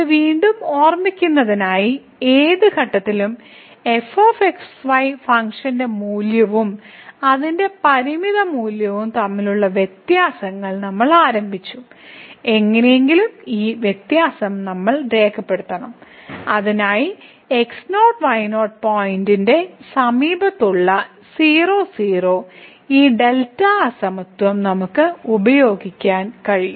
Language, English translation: Malayalam, So, again just to recall this so, we have started with the difference between the function value at any point not equal to and its limiting value and somehow we have to write down this difference in terms of the so that we can use this delta inequality from the neighborhood of the x naught y naught point which is in this case